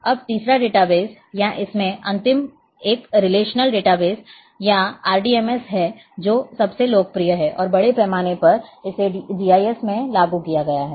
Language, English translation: Hindi, Now the third database or last one in this one is the relational database or RDBMS which is the most popular one and extensively it has been implemented in GIS